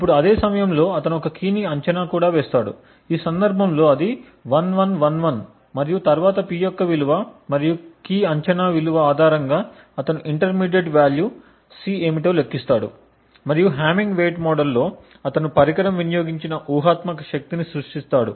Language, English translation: Telugu, Now side by side he also makes a key guess, in this case it is 1111 and then based on the value of P and the key guess he computes what the intermediate value C would be and in the hamming weight model he then creates the hypothetical power consumed by the device